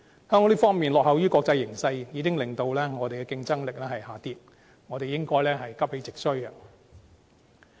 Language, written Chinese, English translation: Cantonese, 香港在這方面落後於國際形勢，已經令我們的競爭力下跌，我們應該急起直追。, Since Hong Kong is lagging behind in the international arena our competitiveness is dropping and we should do our utmost to catch up